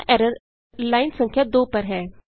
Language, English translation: Hindi, Here the error is in line number 2